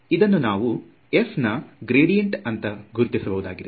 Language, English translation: Kannada, So, this is defined as the gradient of f